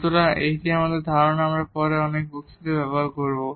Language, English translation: Bengali, So, this concept we will also use later on in many lectures